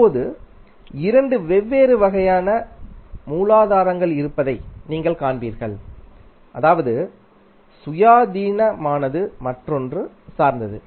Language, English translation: Tamil, Now, you will see there are two different kinds of sources is independent another is dependent